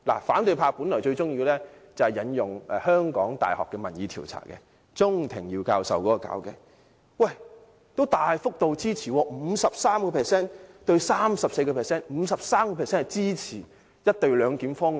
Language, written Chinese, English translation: Cantonese, 反對派本來最喜歡引用香港大學鍾庭耀教授的民意調查，但該調查結果是 53%：34%， 大幅度支持"一地兩檢"方案。, They like quoting results of polls conducted by Dr Robert CHUNG of the University of Hong Kong but the poll result on the co - location arrangement is 53 % 34 % indicating a high rate of support